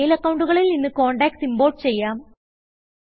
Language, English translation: Malayalam, Import contacts from other mail accounts